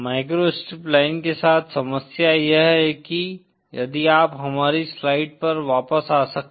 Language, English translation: Hindi, The problem with microstrip line, is that, if you can come back to our written slides